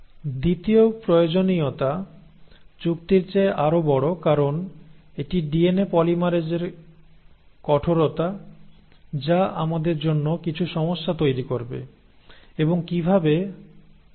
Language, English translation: Bengali, The second requirement is the more bigger of a deal because it is this stringency of DNA polymerase which will create some problems for us and we will see how